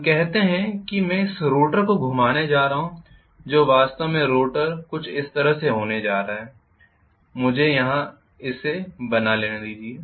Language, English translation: Hindi, Let us say I am going to rotate this rotor which is actually the rotor is going to be somewhat like this let me draw the whole thing here